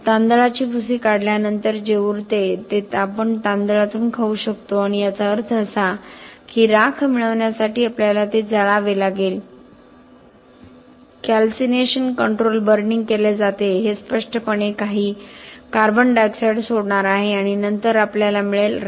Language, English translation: Marathi, So rice husk is what remains after we extract it what we can eat the rice from the paddy and that means that we have to burn it to get ash, calcination control burning is done obviously this is going to give up some CO2 and then we get ash